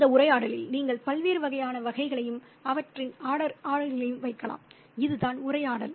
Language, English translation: Tamil, And you can put all the different kinds of categories and their orders in that conversation